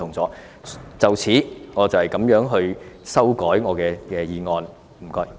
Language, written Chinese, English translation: Cantonese, 就此，我這樣修改我的修正案，多謝。, It is along this line that I revise my amendment . Thank you